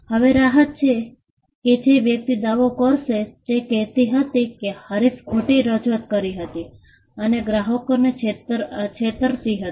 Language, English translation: Gujarati, Now, the relief that a person would claim was saying that, the competitor was misrepresenting and was deceiving the customers